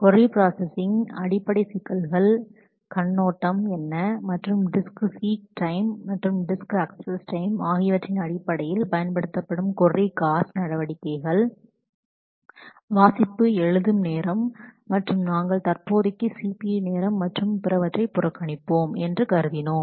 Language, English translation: Tamil, We talked about the basic issues of query processing, what is the overview and the measures of query cost that would be used in terms of disk seek time and disk access time the read write time and we agreed we assume that we will ignore the CPU and other time for the time being